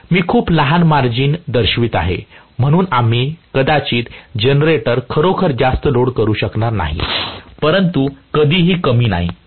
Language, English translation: Marathi, I am showing very very small margin so we may not be able to really load the generator much, but never the less